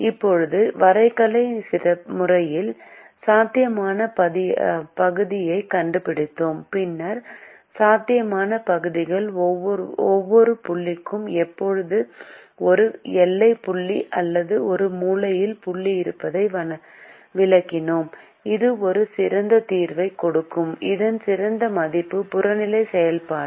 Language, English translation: Tamil, now, in the graphical method we found out the feasible region and then we explained that for every point inside the feasible region there is always a boundary point or a corner point which will give a better solution, a better value of the objective function